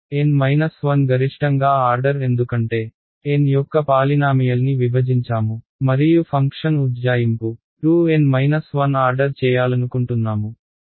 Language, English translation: Telugu, N minus 1 at most because I have divided by polynomial of order N and I want the function approximation to order 2 N minus 1